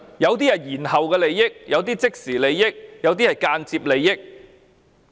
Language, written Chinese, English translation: Cantonese, 有些是延後利益，有些是即時利益，有些是間接利益。, Some interests are deferred some are immediate while some are indirect